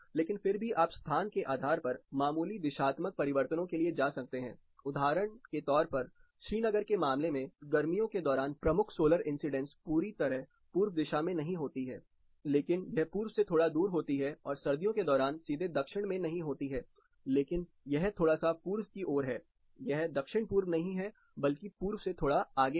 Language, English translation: Hindi, So, it is a better idea to orient it, the longer surface to orient it towards north and south, shatter towards east and west it is understood, but still you can go for minor directional changes depending on the location for example, in case of Srinagar the major solar incidence during summer occurs in this direction not exactly in the east, but it occurs slightly away from the east and during winter it is not directly on the south, but it is towards little bit towards east it is not south east, but slightly ahead of east